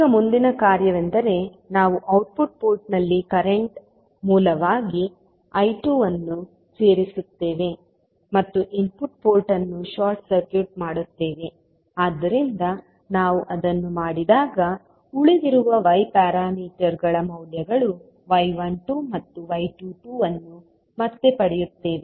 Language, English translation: Kannada, Now, next task is that we will add I 2 as a current source at output port and short circuit the input port, so when we will do that we will get again the values of remaining Y parameters that is y 12 and y 22